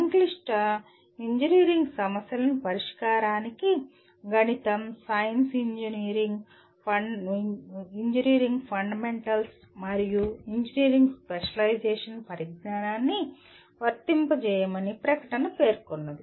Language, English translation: Telugu, The statement says apply the knowledge of mathematics, science, engineering fundamentals and an engineering specialization to the solution of complex engineering problems